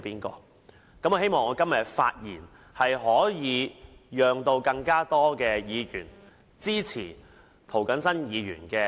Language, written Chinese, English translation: Cantonese, 我希望今天的發言可令更多議員支持涂謹申議員的修訂。, I hope that todays speech will draw more Members support of Mr James TOs amendment